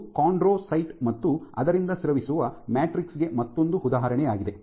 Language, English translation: Kannada, This is another example for chondrocyte and the matrix secreted by it